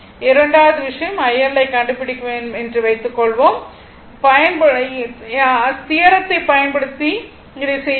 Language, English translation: Tamil, second thing you will find out suppose you will find out IL using theorem right that will do using theorem you will do this right